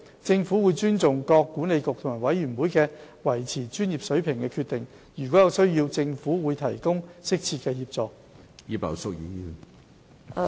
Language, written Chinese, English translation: Cantonese, 政府尊重各管理局及委員會維持專業水平的決定。如有需要，政府會提供適切的協助。, The Government respects the decisions taken by the Council and its boards to uphold their professional standards and will provide appropriate assistance where necessary